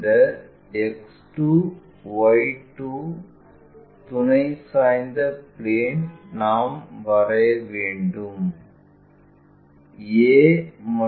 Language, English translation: Tamil, This X 2 Y 2 auxiliary inclined plane we will construct